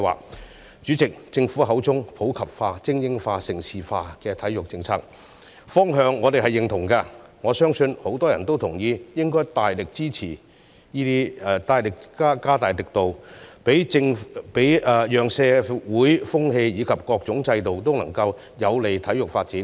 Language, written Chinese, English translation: Cantonese, 代理主席，對於政府口中的"普及化、精英化、盛事化"體育政策，我們認同其方向，我亦相信很多人都同意加大力度，令社會風氣及各種制度均有利於體育發展。, Deputy President we agree with the policy directions of the Government in promoting sports in the community supporting elite sports and developing Hong Kong into a centre for major international sports events . I also believe that many people will support making increased efforts to change our social values and systems in a way to facilitate sports development